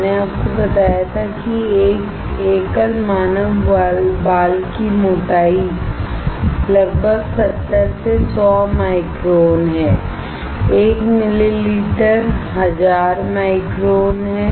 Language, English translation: Hindi, I had told you that the thickness of a single human hair is around 70 to 100 microns; 1 millimeter is 1000 microns